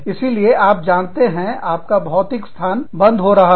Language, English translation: Hindi, So, you know, your physical location, is closing down